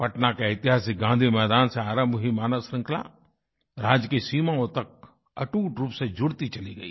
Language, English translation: Hindi, The human chain that commenced formation from Gandhi Maidan in Patna gained momentum, touching the state borders